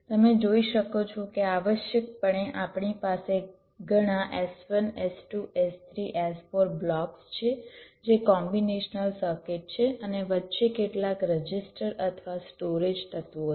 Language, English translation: Gujarati, essentially, we have several s, one, s, two, s, three s, four blocks which are combinational circuits and there are some registers or storage elements in between